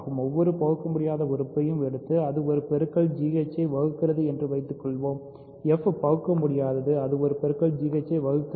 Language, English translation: Tamil, Let us take any irreducible element and suppose it divides a product g h, f is irreducible it divides a product g h